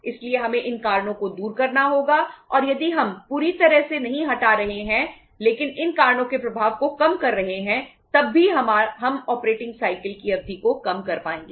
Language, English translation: Hindi, So we have to remove these reasons and if we are not fully removing but even minimizing the effect of these reasons even then we will be able to shorten the the duration of the operating cycle